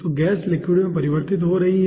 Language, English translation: Hindi, so gas is converting into ah liquid